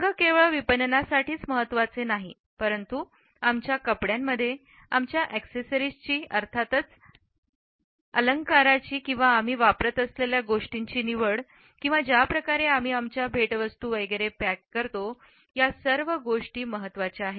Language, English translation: Marathi, Colors are not only important for marketing, but we find that in our clothing, in our choice of accessories, in the way we package our gifts etcetera